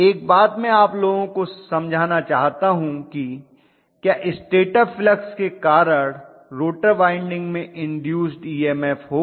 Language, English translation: Hindi, One thing I want you guys to understand is, will the rotor winding have an induce EMF due to the stator flux